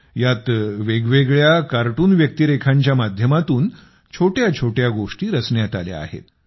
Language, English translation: Marathi, In this, short stories have been prepared through different cartoon characters